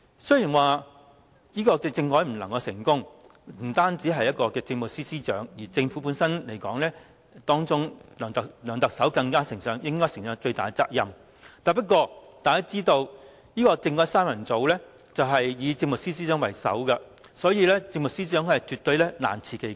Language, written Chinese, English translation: Cantonese, 雖然政改失敗不單是政務司司長的責任，而在政府裏，梁特首應承擔最大的責任，不過，大家也知道，"政改三人組"以政務司司長為首，所以政務司司長難辭其咎。, Although the Chief Secretary for Administration alone should not bear full responsibility for the failure of the constitutional reform for within the Government LEUNG Chun - ying should bear the largest share of responsibility as we all know the Chief Secretary for Administration was at the helm of the constitutional reform trio so she could not absolve herself of all the blame